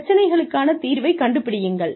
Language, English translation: Tamil, Find solutions to problems